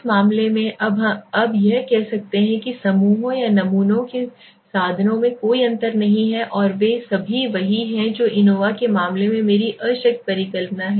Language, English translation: Hindi, In that case we say it that there is no difference between the means of the groups or the samples and they are all same that is my null hypothesis in the case of ANOVA